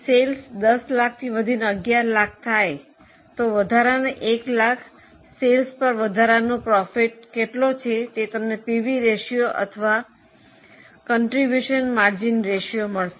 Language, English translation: Gujarati, If sales go up from 10 lakhs to 11 lakhs, on the extra 1 lakh of sales, what is a extra profit which you will earn that you get from PV ratio or contribution margin ratio